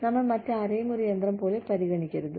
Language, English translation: Malayalam, We should not be treating, anyone else, like a machine